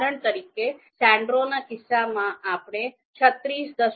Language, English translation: Gujarati, For example Sandero we have got 36